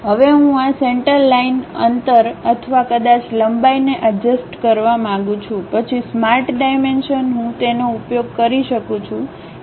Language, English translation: Gujarati, Now, I would like to adjust this center line distance or perhaps length, then Smart Dimensions I can use it